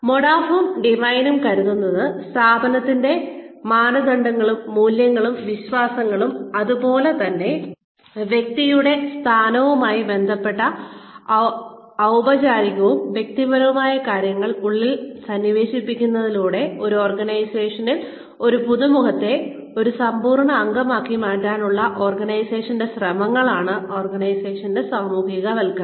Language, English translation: Malayalam, Modaff and DeWine feel that, organizational socialization is the attempts of the organization, to transform an organizational newcomer, into a full fledged member, by instilling into the person, the organization's norms, values, and beliefs, as well as the, formal and informal role requirements, associated with the person's position